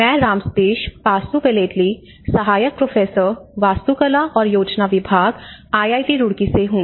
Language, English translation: Hindi, I am Ram Sateesh Pasupuleti, assistant professor, department of Architecture and Planning, IIT Roorkee